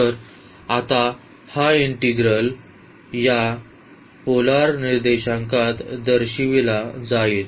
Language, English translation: Marathi, So now, this integral the given interval will be represented in this polar coordinate